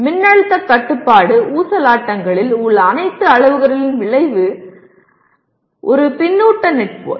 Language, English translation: Tamil, Voltage controlled oscillator is a feedback network